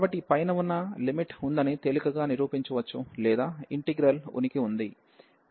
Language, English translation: Telugu, So, it can easily be proved that this above limit exist, so or this integral exist